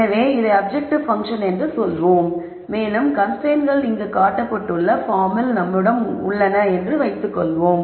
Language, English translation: Tamil, So, let us say this is the objective function and let us assume that we have constraints of the form shown here